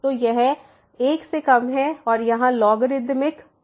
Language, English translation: Hindi, So, this is less than 1 and the logarithmic here